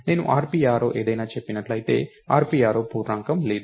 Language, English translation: Telugu, And if I say rp arrow something, there is no rp arrow integer